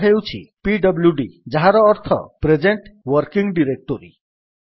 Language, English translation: Odia, It is pwd that stands for present working directory